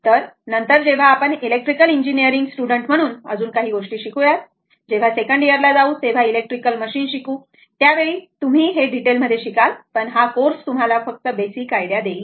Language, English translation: Marathi, So, later when we learn your much more thing in the if you are an electrical engineering student, when you will go for your second year when you will study electrical machines, at that time you will learn much in detail right, but this course just to give you some basic ideas